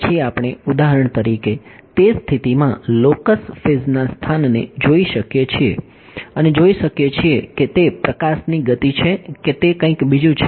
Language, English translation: Gujarati, Then we can for example, in that condition look at the locus of constant phase and see is it speed of light or is it something else ok